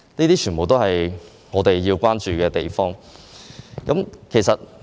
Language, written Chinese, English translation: Cantonese, 這些全部都是我們需要關注的地方。, All these are the areas that we need to pay attention